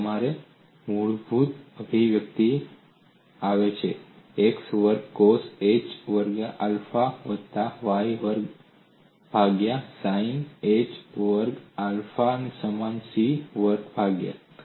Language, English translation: Gujarati, And this comes from your basic expression, x square by cos h squared alpha, plus y square, by sin h squared alpha equal to c square